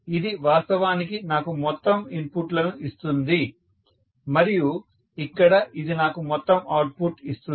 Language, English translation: Telugu, 8, so this will actually give me what are all the total inputs and here it will give me total output